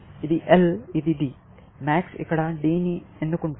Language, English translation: Telugu, This is L; this is D; the max will choose a D here